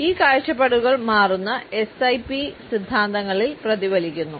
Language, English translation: Malayalam, And these changing perspectives are reflected in the changing SIP theories